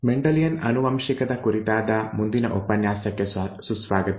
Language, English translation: Kannada, Welcome to the next lecture on Mendelian genetics